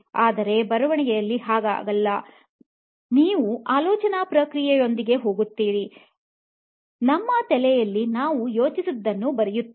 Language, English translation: Kannada, But whereas, in writing you just go with the thought process, we just keep writing what we are thinking in our head